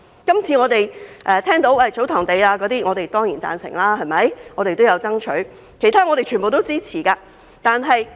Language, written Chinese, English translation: Cantonese, 今次談到祖堂地，我當然會贊成，我們也有爭取，我們也支持所有其他建議。, As regards tsotong lands discussed this time I certainly agree and we have also strived for that and we also support all other suggestions